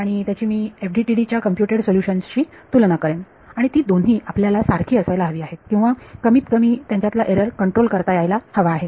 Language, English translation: Marathi, And I will compare that with the computed solution from FDTD, and we would want both of those to be the same or at least control the error